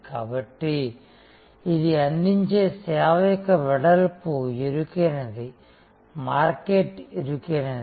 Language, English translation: Telugu, So, it is the breadth of service offering is narrow, market is narrow